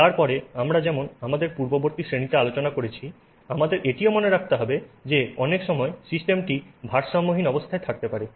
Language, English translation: Bengali, Then as we discussed in an earlier class, we also have to keep in mind that many times the system may be in a non equilibrium state